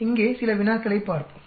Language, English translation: Tamil, Let us look at some problems here